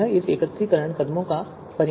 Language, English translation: Hindi, This is the consequence of this aggregation steps